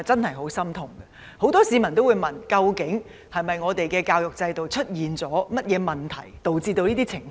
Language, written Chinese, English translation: Cantonese, 很多市民也會問，我們的教育制度是否出現了甚麼問題，以致有此情況？, Many people question whether there are problems with our education system resulting in such a situation